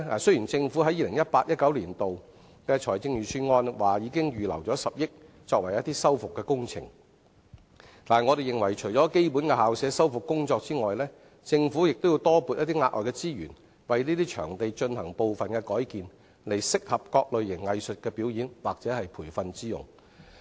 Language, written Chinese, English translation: Cantonese, 雖然政府在 2018-2019 年度財政預算案已預留10億元作修復工程，但我認為除了基本的校舍修復工作外，政府亦要多撥額外資源為這些場地進行部分改建，以適合各類型藝術的表演或培訓之用。, Even though the Government has already earmarked 1 billion in the 2018 - 2019 Budget for the rehabilitation work I think apart from basic rehabilitation work for school premises the Government also has to allocate additional resources so that these premises can be partially converted into places suitable for various kinds of arts performance or training usage